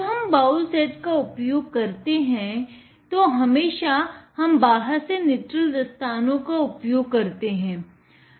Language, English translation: Hindi, When handling the bowl set, we always use nitrile gloves on the outside